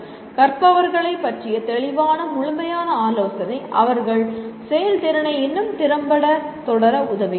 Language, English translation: Tamil, Clear, thorough counsel to learners about their performance helping them to proceed more effectively